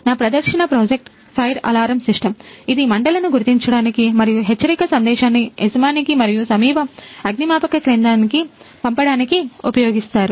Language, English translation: Telugu, My demo project is fire alarm system, which are used to detect the fire and send an alert the message to owner and the nearest fire station